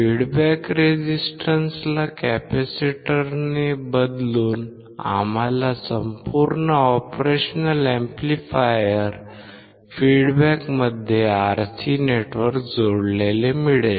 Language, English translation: Marathi, By replacing the feedback resistance with a capacitor, we get the RC network connected across the operational amplifier feedbacks